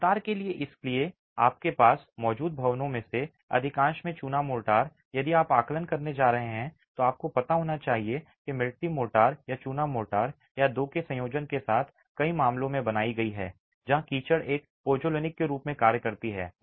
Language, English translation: Hindi, So, lime motor, most of your existing buildings if you are going to be doing an assessment you should know that might have been made with mud motor or lime motor or a combination of the two in many cases where the mud acts as a pozzolanic additive to the mortar itself